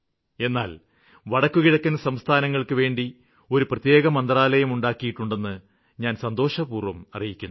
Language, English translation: Malayalam, I would like to tell them with great pleasure that we have a separate ministry for NorthEastern region